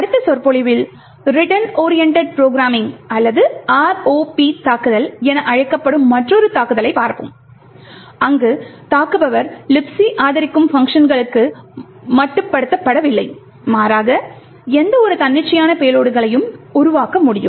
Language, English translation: Tamil, In the next lecture we will look at another attack known as the Return Oriented Programming or the ROP attack where the attacker is not restricted to the functions that LibC supports but rather can create any arbitrary payloads, thank you